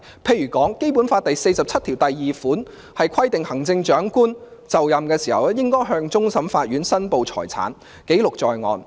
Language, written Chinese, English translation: Cantonese, 例如《基本法》第四十七條第二款規定行政長官就任時，應該向終審法院申報財產，記錄在案。, For instance Article 472 of the Basic Law provides that the Chief Executive on assuming office shall declare his or her assets to the Chief Justice of the Court of Final Appeal and the declaration shall be put on record